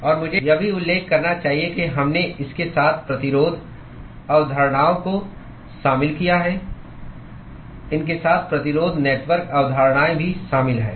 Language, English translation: Hindi, And I should also mention that we included resistance concepts alng with this, the resistance network concepts alng with these